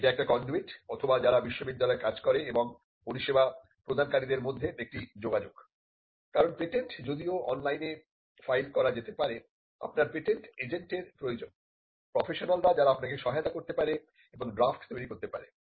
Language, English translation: Bengali, It can do it or it is a connection between the university, the people who work in the university and the external service providers because, the patent do it can be filed online requires a patent agent it requires professionals who can help you and drafting